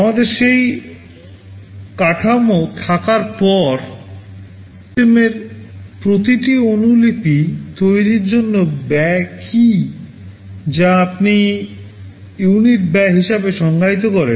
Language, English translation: Bengali, After we have that infrastructure, what is the cost of manufacturing every copy of the system, which you define as the unit cost